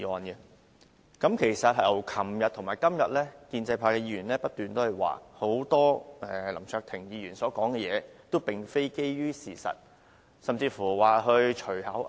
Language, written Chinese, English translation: Cantonese, 在昨天和今天的辯論中，建制派議員不斷就林卓廷議員所說的話，很多都並非基於事實。, In the debate held yesterday and today the pro - establishment Members kept saying that most of what Mr LAM Cheuk - ting said was not based on facts